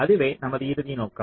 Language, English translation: Tamil, that is our, that is our final objective